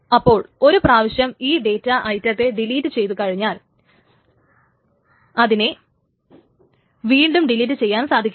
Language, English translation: Malayalam, So once a data item is deleted, it cannot be deleted again